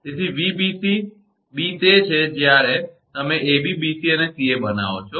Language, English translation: Gujarati, So, Vbc b is the when you make ab bc ca